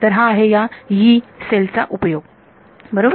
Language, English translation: Marathi, So, this is the use of this Yee cell alright